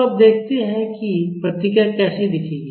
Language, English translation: Hindi, So, now let us see how the response will look like